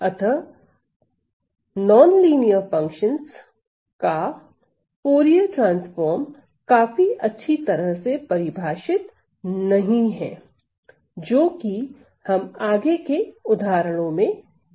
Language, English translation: Hindi, So, the Fourier transforms of non linear functions are not quite well defined as we will again sees in some of our examples later on